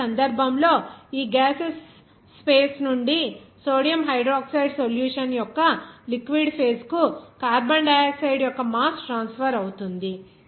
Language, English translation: Telugu, Now, in this case, there will be a mass of carbon dioxide transferred from this gaseous space to the liquid phase of sodium hydroxide solution